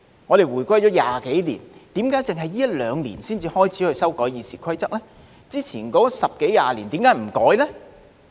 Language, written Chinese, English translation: Cantonese, 我們回歸了20多年，為何只是這一兩年才開始修改《議事規則》，之前十多二十年為何不修改呢？, Twenty - odd years have passed since the reunification . Why did people begin to see our amendment of the Rules of Procedure only in the last two years instead of the previous 10 or 20 years?